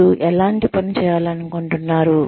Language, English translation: Telugu, What kind of work, do you want to do